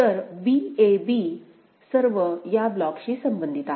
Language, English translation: Marathi, So, b a b all of them belong to this block